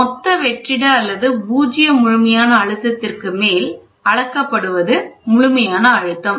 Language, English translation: Tamil, Absolute pressure is measured above total vacuum or zero absolute